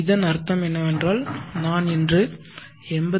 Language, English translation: Tamil, 86, what it means is that I should say 86